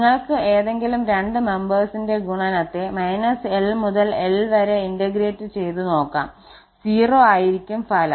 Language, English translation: Malayalam, So, you can take any two different members here and the product if integrated over from minus l to l the value will be 0